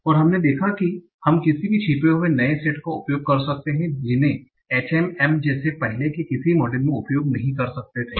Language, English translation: Hindi, And we saw that we can use any heterogeneous set of features that were not allowed in the earlier model like HM